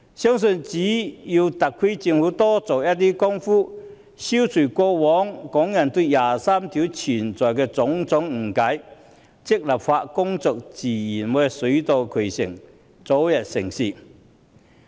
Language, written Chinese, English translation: Cantonese, 相信只要特區政府多做工夫，消除過往港人對第二十三條的種種誤解，立法工作自然會水到渠成，早日成事。, If the SAR Government makes more effort to dispel the various misunderstandings of Hong Kong people on Article 23 success will naturally come with regard to the legislation work